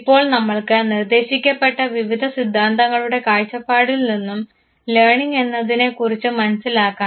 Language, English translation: Malayalam, Now, let us understand learning from that the point of view of various theories that has been proposed